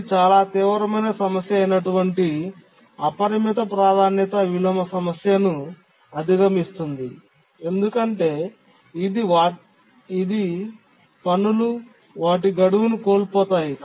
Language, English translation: Telugu, It does overcome the unbounded priority inversion problem which is a severe problem can cause tasks to miss their deadline